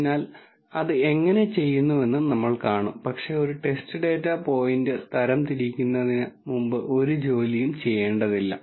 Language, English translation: Malayalam, So, we will see how that is done, but no work needs to be done before I am able to classify a test data point